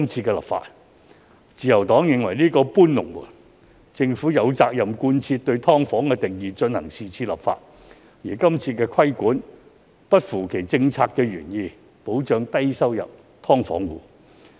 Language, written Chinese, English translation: Cantonese, 政府有責任在是次修例貫徹對"劏房"的定義，而擴大規管並不符合其政策原意，即保障低收入"劏房戶"。, It is incumbent upon the Government to adopt a consistent definition of SDU throughout the amendment exercise given that the extension of regulation is at odds with its original policy intent namely to protect low - income SDU tenants